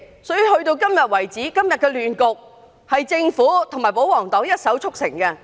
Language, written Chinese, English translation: Cantonese, 所以，今天的亂局，是政府及保皇黨一手促成。, Hence the Government and the royalists are culprits of todays chaos